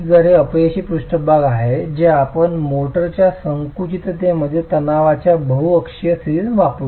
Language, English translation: Marathi, So this is the failure surface that we would use for the multi axial state of stress in compression of the motor